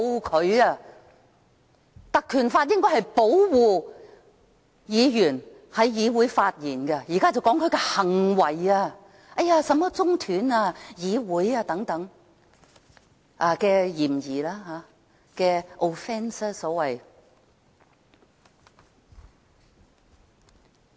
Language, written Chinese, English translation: Cantonese, 該條例應是保護議員在議會上發言，現在是說其行為，說他涉嫌中斷議會等，所謂 offence。, The Ordinance originally seeks to protect Members right to speak freely at meetings . But now the Department of Justice targets at his behaviours accusing him of allegedly interrupting the proceeding of the meeting the so - called offence